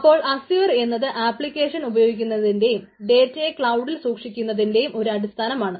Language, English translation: Malayalam, so azure is a foundation for running applications and storing data in the cloud